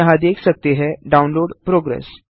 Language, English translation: Hindi, You can see here the download progress